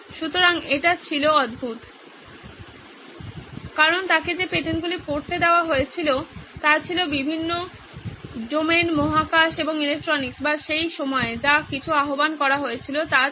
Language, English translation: Bengali, So this was crazy because the patents that he was looking at reading were from different domains aerospace and electronics or whatever was invoke at that time